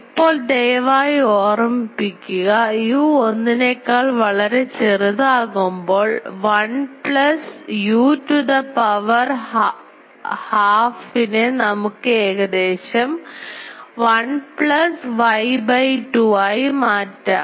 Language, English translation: Malayalam, Now, please remember that 1 plus u to the power half can be approximated as 1 plus u by 2 when u is much much less than 1